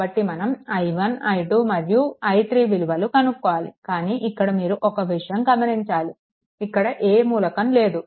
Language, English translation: Telugu, So, you have to find out i 1 also i 3, but just let me tell you there is no element here